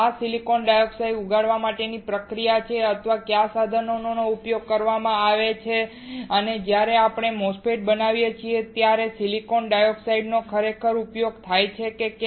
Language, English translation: Gujarati, What is the process or what are the equipment used to grow this silicon dioxide and whether the silicon dioxide is actually used when we are going to fabricate a MOSFET